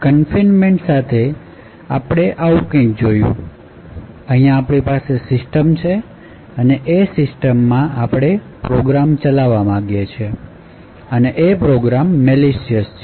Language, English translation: Gujarati, So, with confinement we had looked at something like this, we had a system over here and within this particular system we wanted to run a particular program and this program may be malicious